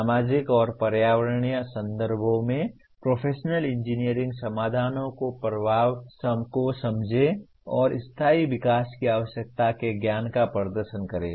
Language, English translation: Hindi, Understand the impact of professional engineering solutions in societal and environmental contexts and demonstrate the knowledge of, and the need for sustainable development